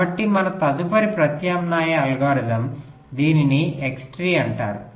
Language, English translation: Telugu, so our next alternate algorithm, this is called x tree